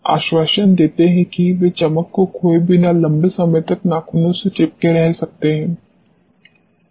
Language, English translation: Hindi, Assure they may stick to the nails for a long duration without losing the shining